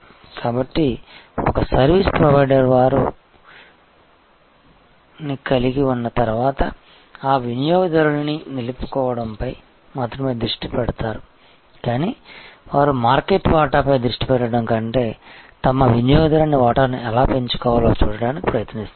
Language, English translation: Telugu, So, that a service provider once they have a customer, they will focus not only on retention of that customer, but they will try to see how they can increase their customer share rather than focusing on market share